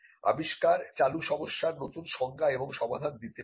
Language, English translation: Bengali, Inventions can redefine an existing problem and solve it